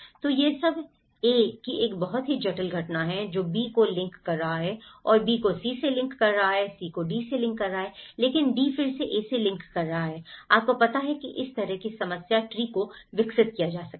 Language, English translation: Hindi, So, it’s all about a very complex phenomenon of A is linking to B and B is linking to C, C is linking to D but D is again linking to A, you know this kind of problem tree could be developed